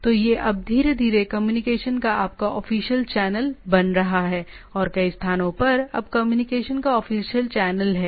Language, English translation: Hindi, So, it is now became slowly becoming your official channel of communication and several places now official channel of communication